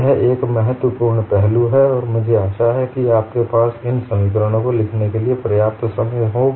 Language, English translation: Hindi, So, very important aspect and I hope you had sufficient time to complete writing these expressions